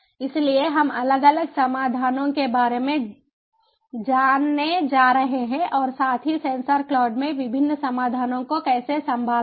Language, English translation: Hindi, so there we are going to learn about the different solutions as well about how to handle different solutions in sensor cloud